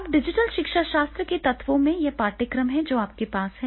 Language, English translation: Hindi, Now, in the elements of the digital pedagogy, it is a curriculum that is what curriculum you are having